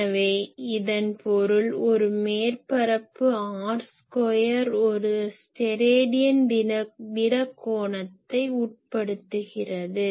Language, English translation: Tamil, So, that means, an surface area r square subtends one Stedidian solid angle